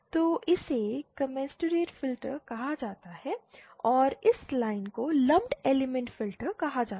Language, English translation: Hindi, So this is called commensurate filter and this line is called lumped element filter